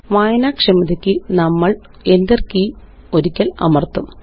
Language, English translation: Malayalam, For readability we will press the Enter key once